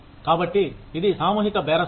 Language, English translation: Telugu, So, it is collective bargaining